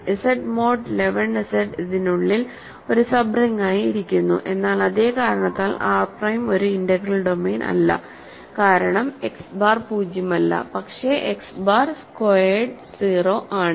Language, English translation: Malayalam, Z mod 11 Z sits inside this as a sub ring, but R prime is not an integral domain for the same reason right because, X bar is non zero, but X bar squared is 0 ok